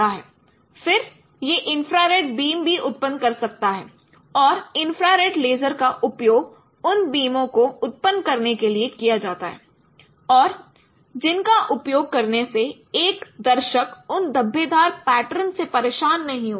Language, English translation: Hindi, Then it can generate also infrared beams and infrared lasers are used for generating those beams and which could be used unobtrusively which means that a viewer won't be disturbed by those speckle patterns